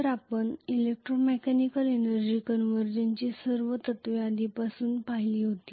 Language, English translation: Marathi, So we had seen already all the principles of electro mechanical energy conversion